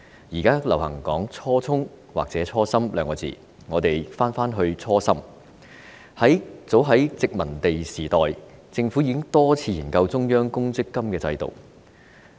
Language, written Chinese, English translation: Cantonese, 現時流行說"初衷"或"初心"，如果我們返回初心，早在殖民地時代，政府已經多次研究中央公積金制度。, It is currently popular to use the terms original intention or original intent . If we return to the original intent in as early as the colonial era the Government had conducted many researches into the establishment of a Central Provident Fund system